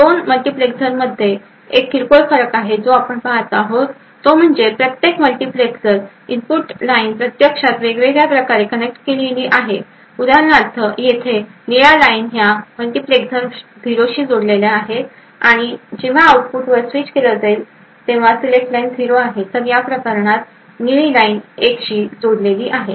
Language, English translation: Marathi, There is a minor difference between the 2 multiplexers and what you see is that the input line is actually connected differently in each multiplexer for example over here, the blue line is connected to 0 in this multiplexer and therefore will be switched to the output when the select line is 0, while in this case the blue line is connected to 1